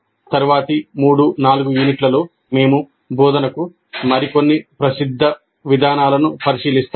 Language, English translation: Telugu, In the next three, four units, we look at some other popular approaches to the instruction